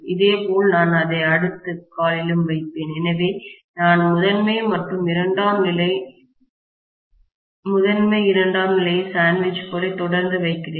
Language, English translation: Tamil, Similarly, I will put it on the next limb also, so I am going to have the primary and secondary, primary, secondary sandwiched continuously